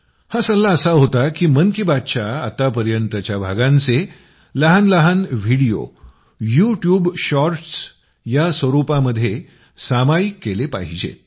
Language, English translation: Marathi, The suggestion is to share short videos in the form of YouTube Shorts from earlier episodes of 'Mann Ki Baat' so far